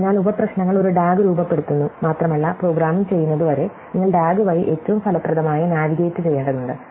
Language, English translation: Malayalam, So, the sub problems form a DAG and you have to navigate your way through the DAG in a most effective way as far as programming it